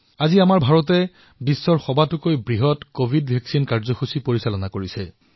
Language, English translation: Assamese, Today, India is undertaking the world's biggest Covid Vaccine Programme